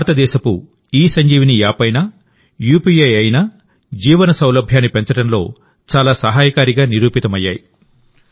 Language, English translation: Telugu, Be it India's ESanjeevaniApp or UPI, these have proved to be very helpful in raising the Ease of Living